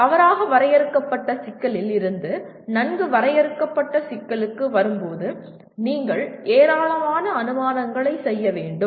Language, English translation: Tamil, When you are coming from a ill defined problem to well defined problem you have to make a large number of assumptions